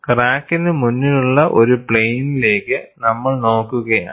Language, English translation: Malayalam, We are looking at a plane ahead of the crack